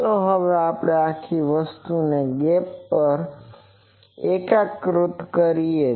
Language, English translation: Gujarati, Now, let us integrate this whole thing over the gap